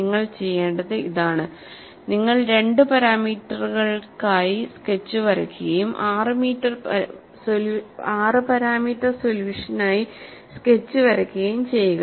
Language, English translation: Malayalam, And what I want you to do is, you would draw the sketch for two parameter, draw the sketch for a 6 parameter solution